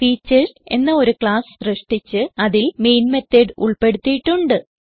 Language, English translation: Malayalam, I have created a class named Features and added the main method